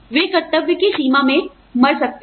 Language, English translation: Hindi, They may die, in the line of duty